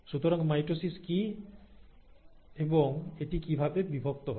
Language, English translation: Bengali, So, what is mitosis and how is it divided